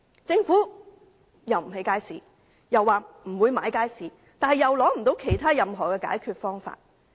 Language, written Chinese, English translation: Cantonese, 政府既不肯興建街市，又說不會購入街市，但又無法提出任何解決方法。, The Government refuses to build any new market adding that it will not buy any market either but it is unable to propose any solution